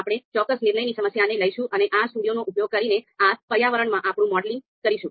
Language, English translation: Gujarati, So we will go through a particular problem a particular decision problem and do our modeling in R environment using RStudio